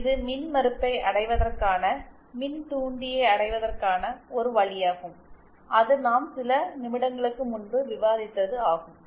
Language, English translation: Tamil, So, this is one way of achieving impedance, achieving inductor that we have discussed few minutes ago